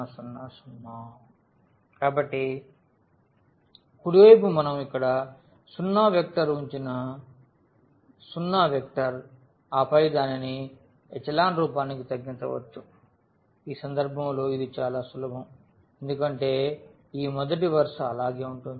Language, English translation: Telugu, The right hand side the zero vector which we have kept here the zero vector and then we can reduce it to the echelon form which is very simple in this case because this first row will remain as it is